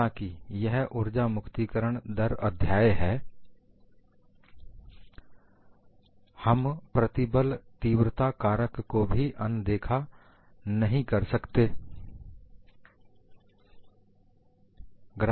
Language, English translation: Hindi, Though it is the energy release rate chapter, we cannot avoid talking about stress intensity factor